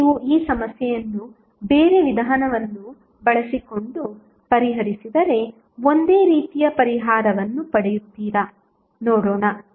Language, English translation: Kannada, Now, if you solve this problem using different approach whether the same solution would be obtained or not let us see